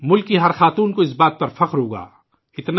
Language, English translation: Urdu, Every woman of the country will feel proud at that